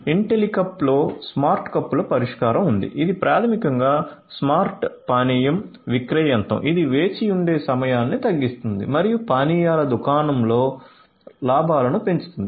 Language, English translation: Telugu, Intellicup has the smart cups solution which basically is a smart beverage vending machine which reduces the waiting time and increases the profit at the beverage shops